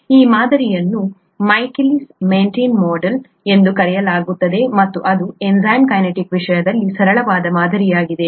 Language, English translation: Kannada, This model is called the Michaelis Menten model and it’s the simplest model in terms of enzyme kinetics